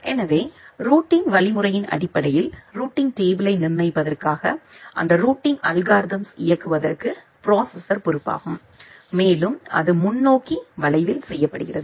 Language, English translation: Tamil, So, the processor is basically responsible for running those programs for constructing the routing table based on the routing algorithm and the forwarding it is done at the interface curve